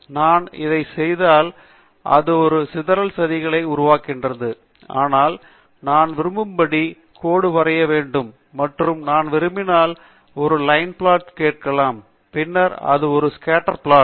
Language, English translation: Tamil, And when I do this, it produces a scatter plot, but I want ideally also line plot, and I can ask for a line plot if I want, and then this is a line plot